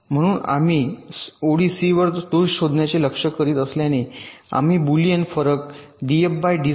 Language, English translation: Marathi, so, since we are targeting to detect faults on line c, we compute the boolean difference d, f, d, c